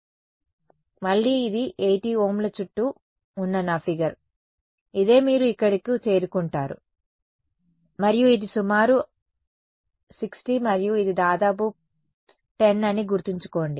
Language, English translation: Telugu, So, again this is my figure around 80 Ohms, this is what you get over here and mind you this is around 60 and this is around 10